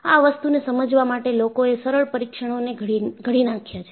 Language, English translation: Gujarati, So, people have devised a simple test to understand